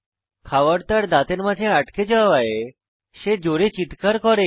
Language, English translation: Bengali, The food gets stuck between his teeth and he screams out loudly